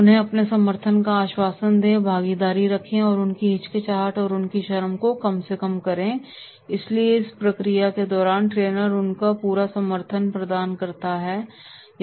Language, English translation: Hindi, Assure them of your support, and during this process of involvement and their engagement and therefore minimising their hesitance and their shyness, so during this process the trainer should provide them the full support